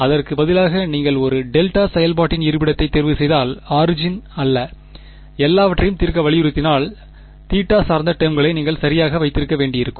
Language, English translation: Tamil, Instead if you are chosen your location of a delta function to not be the origin and insisted on solving everything; you would have had to keep the theta dependent terms right